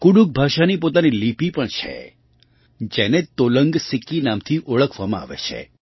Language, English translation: Gujarati, Kudukh language also has its own script, which is known as Tolang Siki